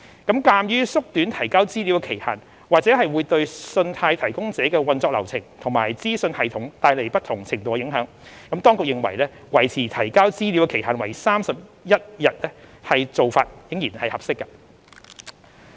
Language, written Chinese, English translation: Cantonese, 鑒於縮短提交資料的期限或會對信貸提供者的運作流程和資訊系統帶來不同程度的影響，當局認為維持提交資料的期限為31日的做法仍然合適。, Since shortening the information reporting period may affect to a varying extent credit providers operational workflow and information technology system we consider it appropriate to maintain the reporting period at 31 days